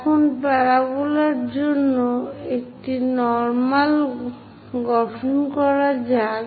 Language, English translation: Bengali, Now let us construct a normal to the drawn parabola